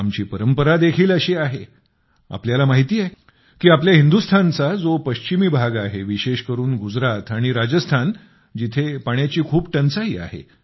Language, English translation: Marathi, You know, of course, that the western region of our India, especially Gujarat and Rajasthan, suffer from scarcity of water